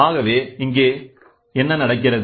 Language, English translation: Tamil, So, here what happens